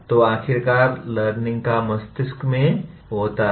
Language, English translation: Hindi, So after all learning takes place in the brain